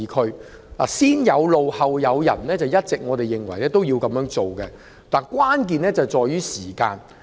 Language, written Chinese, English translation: Cantonese, 我們一直認為"先有路，後有人"是正確的做法，但關鍵在於時間。, All along we believe that the right approach is to put roads in place first then move people in but the key lies in timing